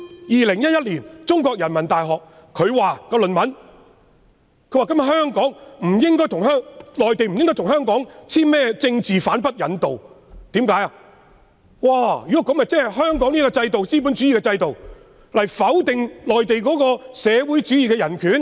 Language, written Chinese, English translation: Cantonese, 2011年，中國人民大學發表的論文指，內地不應該跟香港簽署政治犯不引渡協議，否則便相當於用香港資本主義制度否定內地社會主義的人權。, In 2011 an essay published by the Renmin University of China advised the Mainland against reaching an agreement on non - extradition of political offenders with Hong Kong; otherwise the agreement would be tantamount to denying the human rights in the socialist China with Hong Kongs capitalist system . The Mainland has branded LIU Xiaobo a criminal